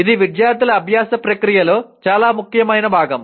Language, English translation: Telugu, That is a very important component of a student’s learning process